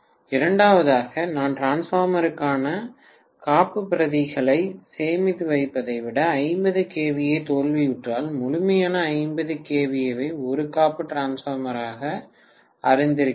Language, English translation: Tamil, The second one is when I store backups for my transformer rather than storing for you know complete 50 kVA as a backup transformer in case the 50 kVA fails then I have to immediately replace it by the 50 kVA transformer